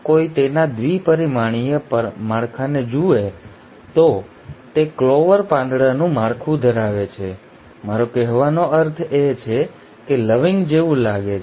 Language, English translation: Gujarati, If one were to look at its two dimensional structure, it has a clover leaf structure, I mean; it looks like the cloves